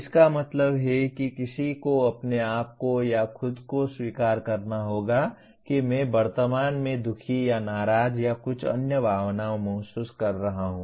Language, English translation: Hindi, That means one has to acknowledge to himself or herself that I am presently feeling sad or angry or some other emotion